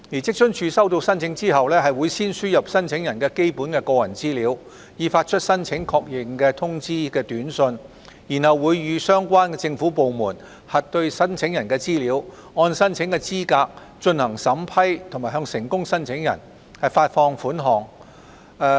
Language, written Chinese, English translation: Cantonese, 職津處收到申請後，會先輸入申請人基本的個人資料，以發出申請確認通知短訊，然後會與相關政府部門核對申請人的資料、按申請資格進行審批及向成功申請人發放款額。, Upon receiving the applications WFAO will first enter the basic personal information of applicants for issuing an SMS message to acknowledge receipt . WFAO will then verify the applicants information with relevant government departments vet the applications against the eligibility criteria and disburse payments to successful applicants